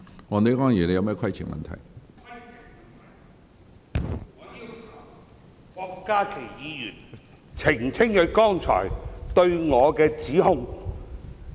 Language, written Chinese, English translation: Cantonese, 我要求郭家麒議員澄清他剛才對我的指控。, I seek an elucidation from Dr KWOK Ka - ki about the allegation he has just made against me